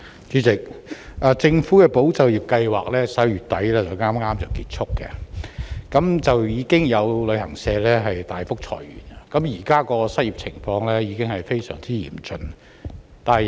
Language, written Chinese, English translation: Cantonese, 主席，政府的"保就業"計劃剛在11月底結束，有旅行社大幅裁員，失業情況現已非常嚴峻。, President with the ending of the Governments ESS in late November some travel agencies announced massive layoffs . The unemployment situation is very severe now